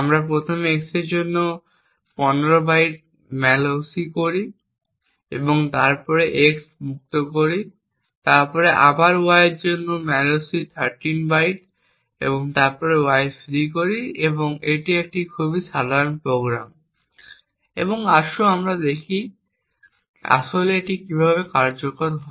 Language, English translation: Bengali, c and it is a very small program, so what it does is that we define two pointers x and y both are character pointers, we first malloc 15 bytes for x and then we free x, then later we also malloc 13 bytes for y and then we free y, this is a very simple program and let us see how it actually executes